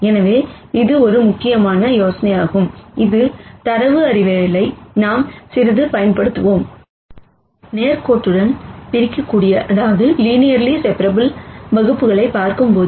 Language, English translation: Tamil, So, this is a very important idea that we will use in data science quite a bit, when we looked at linearly separable classes